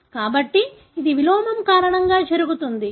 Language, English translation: Telugu, So, that happens because of inversion